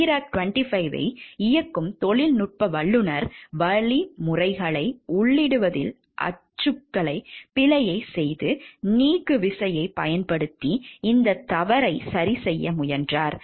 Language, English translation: Tamil, When the technician operating the Therac 25 made a typographical error in entering instructions and tried to correct this mistake by using the delete key